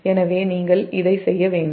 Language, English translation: Tamil, so you should do this